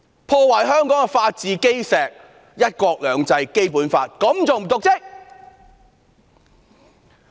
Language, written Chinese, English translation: Cantonese, 她破壞香港的法治基石、"一國兩制"和《基本法》，這還不是瀆職嗎？, She has ruined the foundation of the rule of law one country two systems and the Basic Law of Hong Kong . Is that not evidence of dereliction of duty?